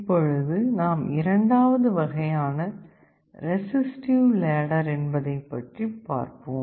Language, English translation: Tamil, Let us now come to the other type, resistive ladder